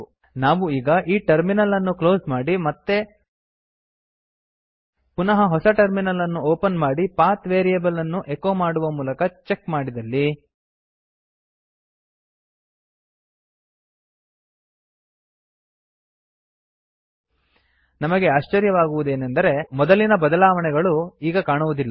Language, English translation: Kannada, If we close the terminal and open it again or open a new terminal altogether and check the path variable by echoing its value we will be surprised to see that our modifications are no longer present